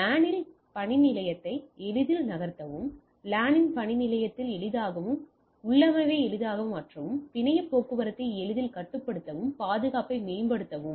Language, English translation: Tamil, Easily move workstation on the LAN, easily at workstation on the LAN, easily change VLAN configuration, easily control network traffic and improve security